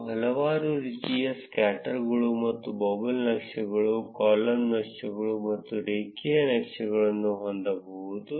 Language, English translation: Kannada, You can have several kinds of scatters and bubble charts, column charts and linear charts